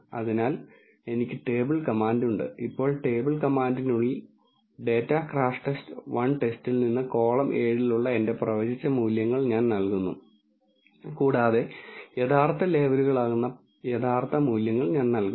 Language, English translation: Malayalam, So, I have the table command, now inside the table command I am giving my predicted values which is in the column 7 from the data crashTest underscore 1 underscore test, and I am giving the actual values which are the actual labels